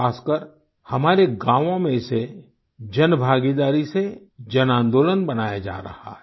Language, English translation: Hindi, Especially in our villages, it is being converted into a mass movement with public participation